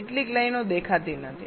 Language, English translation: Gujarati, ah, some of the lines are not showing up